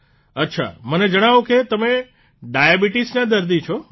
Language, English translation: Gujarati, Well, I have been told that you are a diabetic patient